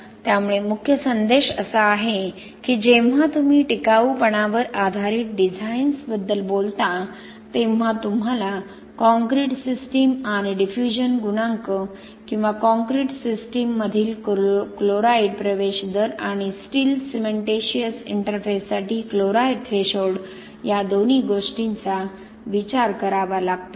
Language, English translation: Marathi, So the main message is when you talk about durability based designs you have to think both about concrete system and the diffusion coefficient or the chloride ingress rate in the concrete system and the chloride threshold for the steel cementitious interface